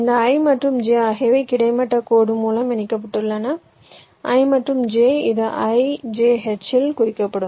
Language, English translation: Tamil, ijh means something like this: this i and j are connected by a horizontal line